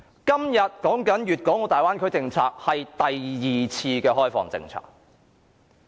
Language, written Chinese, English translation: Cantonese, 今天討論的大灣區政策，是第二次改革開放政策。, The Bay Area policy that we discussed today is the second policy on reform and opening - up